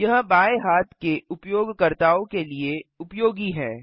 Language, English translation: Hindi, This is useful for left handed users